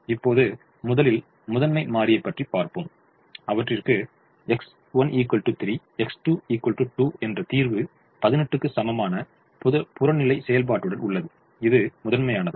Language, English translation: Tamil, let us first look at the primal and observe that we have a solution: x one equal to three, x two equal to two, with objective function equal to eighteen is feasible to the primal